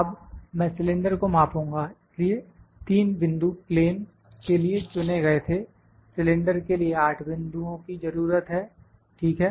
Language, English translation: Hindi, Now, I will measure the cylinder, so; 3 points for plane was selected for cylinder we need 8 points, ok